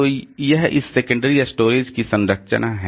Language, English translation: Hindi, So, that is the structure of this secondary storage